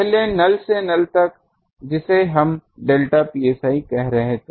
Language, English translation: Hindi, Earlier from null to null, we are calling delta psi